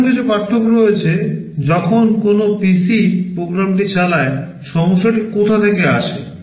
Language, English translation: Bengali, There are still some differences; when a PC executes the program, from where does the problem come from